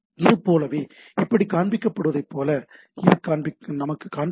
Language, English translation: Tamil, Like it is, it will show us like it was showing like this